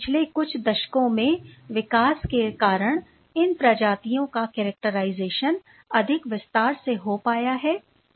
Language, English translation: Hindi, Thanks to the development over the last few decades which has made these possible made possible characterization of these species in greater detail